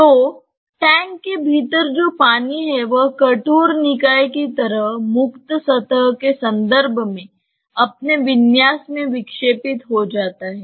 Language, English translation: Hindi, So, the water which is there within the tank just gets deflected in its configuration in terms of the free surface like a rigid body